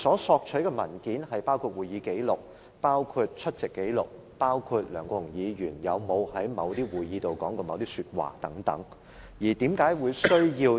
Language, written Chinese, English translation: Cantonese, 索取的文件包括會議紀錄、出席紀錄，以及有關梁國雄議員有否在某些會議上說過某些話的文件等。, The documents required include records of meetings attendances of meetings and documents indicating whether Mr LEUNG Kwok - hung had said certain things at certain meetings and so on